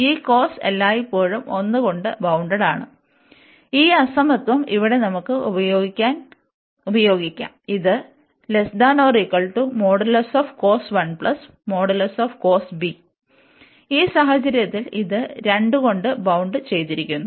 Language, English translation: Malayalam, So, this cos is bounded by 1 always, and we can use this inequality here that this is less than cos 1 plus cos b, and in that case this will b bounded by 2